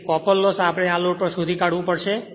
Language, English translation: Gujarati, So, copper loss, we have to find out at this load